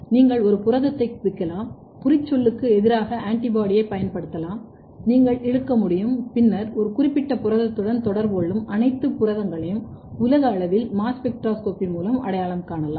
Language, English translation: Tamil, So, you can tag a protein, you can use that tag in antibody against the tag, you can do the pull down and then you can identify all the protein through mass spectroscopy at the global level to identify all the proteins which are interacting with a particular protein